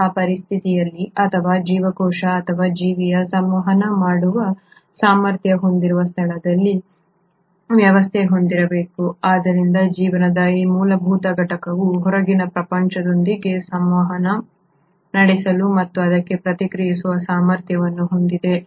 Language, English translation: Kannada, In such a situation a cell or an organism needs to have a system in a place which is capable of doing communication so this fundamental unit of life is also capable of communicating with the outside world and responding to it